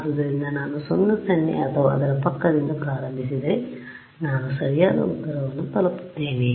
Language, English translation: Kannada, So, if I started from 0 0 or its neighborhood I reach the correct answer